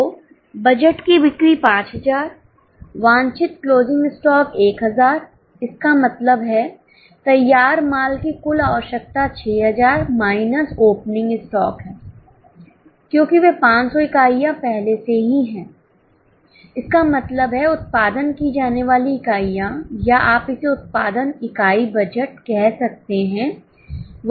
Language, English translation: Hindi, So, budgeted sales are 5,000, desired closing stock 1,000, that means total requirement of finish goods is 6,000 minus opening stock because those 500 units are already there